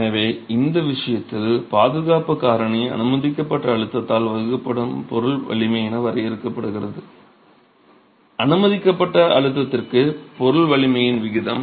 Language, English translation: Tamil, So, the factor of safety in this case is defined as the material strength divided by the permissible stress, the ratio of the material strength to the permissible stress